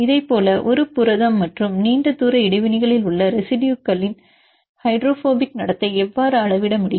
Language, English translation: Tamil, Like this how can we quantify the hydrophobic behavior of residues in a protein and long range interactions